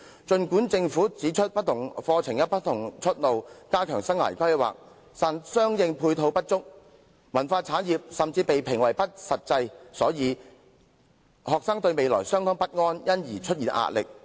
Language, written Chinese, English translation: Cantonese, 雖然政府曾經指出，不同課程有不同出路，並且會加強生涯規劃，但相應配套不足，文化產業甚至被評為不切實際，以致學生對未來感到十分不安和備受壓力。, Although the Government has once pointed out that different programmes offer different pathways and career and life planning will be enhanced the corresponding support measures are inadequate . What is more the cultural industry has even been criticized for being impractical . This has led to anxiety and pressure felt by students about their future